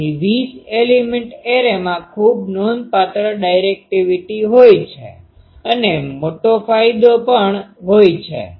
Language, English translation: Gujarati, So, a 20 element away has a very substantial directivity and also large gain